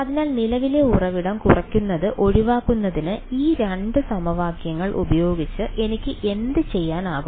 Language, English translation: Malayalam, So, what can I do with these two equation to get rid of current source subtract right